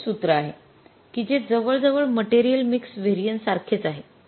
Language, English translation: Marathi, Largely they are same with the material mixed variances